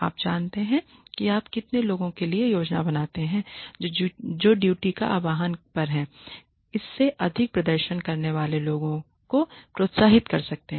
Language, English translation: Hindi, You know, how much do you plan for how much can you incentivize people who perform above and beyond the call of duty